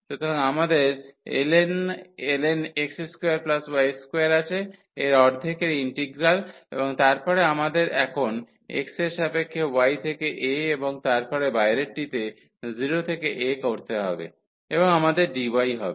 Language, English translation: Bengali, So, we will have the ln of x square plus y square the integral of this with the half and then we have to also put the limits now for x from y to a and then the outer one 0 to a and we will have dy